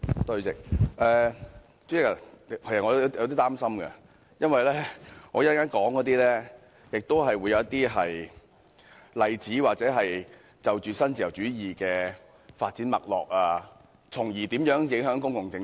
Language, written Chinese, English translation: Cantonese, 主席，其實我有點擔心，因為我稍後亦會舉出一些例子或就新自由主義的發展脈絡發言，從而說明如何影響公共政策。, President I am actually a bit worried because later on I will also cite some examples or speak on the course of development of neo - liberalism so as to explain how it affects public policies